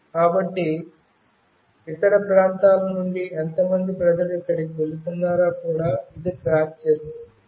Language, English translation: Telugu, So, this will also keep track of how many people from other region is moving here